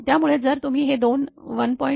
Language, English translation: Marathi, So, if you add these two, 1